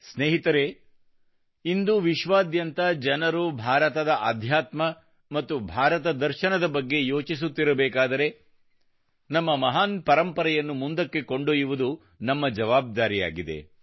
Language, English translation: Kannada, when the people of the world pay heed to Indian spiritual systems and philosophy today, then we also have a responsibility to carry forward these great traditions